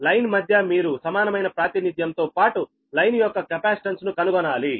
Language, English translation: Telugu, you have to find the equivalent representation as well as the capacitance of the line